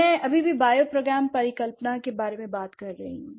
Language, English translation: Hindi, And what happens in bioprogram hypothesis